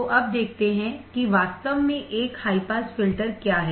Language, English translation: Hindi, So, now, let us see what exactly a high pass filter is